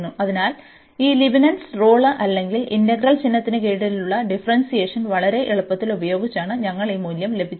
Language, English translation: Malayalam, So, we got this value here by using this Leibnitz rule or the differentiation under integral sign very quite easily